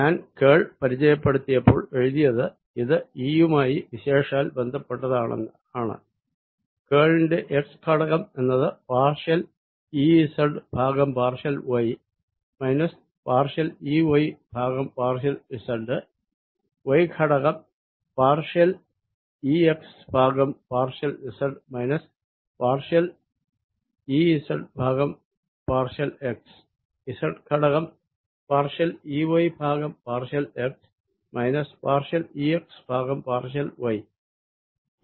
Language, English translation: Malayalam, i had written when i had introduced this curl of that's again a specialized to e as x component partial e z over partial y minus partial, e, y over partial z, z plus y component being partial with respect to z of e, x minus partial e z, partial x plus z component being partial e y partial x minus e x e y